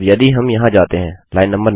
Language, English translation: Hindi, Now if we go here line no